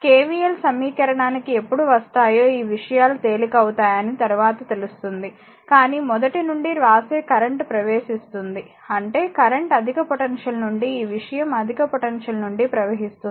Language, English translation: Telugu, Later you will find this things will be easier when we will come to the KVL equation, but write from the beginning current is entering into the ; that means, current is flowing from your higher potential this thing higher potential to lower potential, right